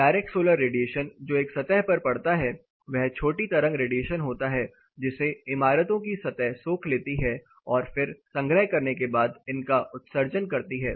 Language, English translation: Hindi, The direct solar radiation which is impinging in a surface is short wave radiation a buildings surface observe it